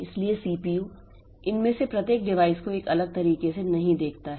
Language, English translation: Hindi, So, CPU does not view each of these devices in a separate fashion